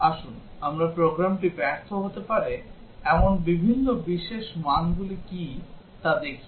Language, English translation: Bengali, Let us look at what are the different special values where program can fail